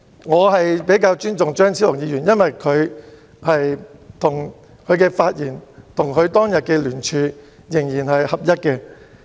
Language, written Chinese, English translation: Cantonese, 我比較尊重張超雄議員，因為他的發言跟他當天的聯署仍然一致。, I have more respect for Dr Fernando CHEUNG as what he said in his speech is basically consistent with the petition he signed back then